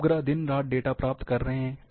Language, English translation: Hindi, These satellites are acquiring data, day and night